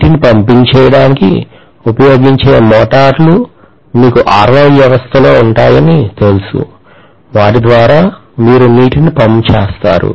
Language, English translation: Telugu, Then we have basically you know the motors which are used in pumping water, you have you know in RO system, again you pump water